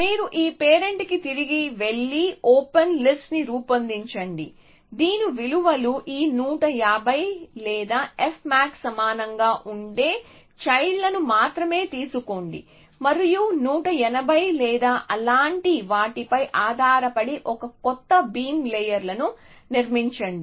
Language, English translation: Telugu, So, you go back to this parent here, generate the open list take children only whose values are greater that equal to this 1 50 or f max essentially and construct a new beam layers depending on something it could something like 1 80 or something like that